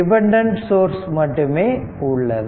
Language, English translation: Tamil, So, only dependent source is there